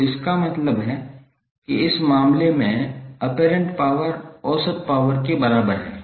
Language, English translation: Hindi, So that implies that apparent power is equal to the average power in this case